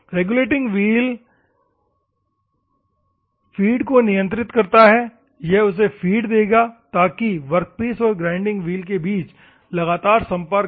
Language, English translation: Hindi, Regulating wheel controls the feed; continuously, it will give the feed to that one so that the contact will be there between the workpiece as well as the grinding wheel